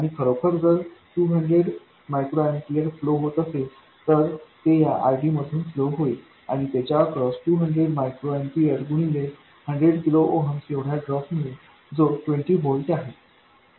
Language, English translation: Marathi, And if this 200 microampiers is really flowing, it will flow through this RD and across it it will give you a drop of 200 microamperes times 100 kilo ooms which is 20 volts